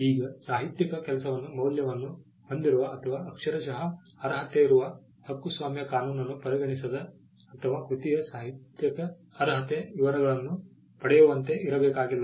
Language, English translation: Kannada, Now, the literary work need not be something that has value or something that has literally merit copyright law does not consider or does not get into the details of the literary merit of a work